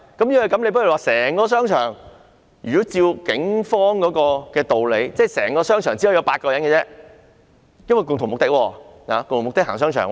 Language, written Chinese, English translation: Cantonese, 如果是這樣，按照警方的道理，整個商場內只可以有8人，因為他們的共同目的是逛商場。, If this is the case and according to the rationale of the Police there cannot be more than eight people in a shopping mall because their common purpose is shopping in the shopping mall